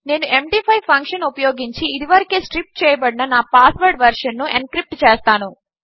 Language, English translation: Telugu, I will use the md5 Function to encrypt the already striped version of my password